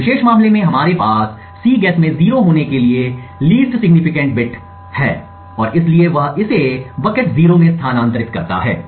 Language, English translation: Hindi, In this particular case we have the least significant bit to be 0 in Cguess and therefore he moves this to the bucket 0